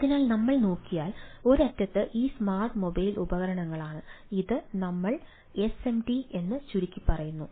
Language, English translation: Malayalam, so if we look at so, one end is this ah mobile devices or smart mobile devices, sometimes ah, we abbreviate as smd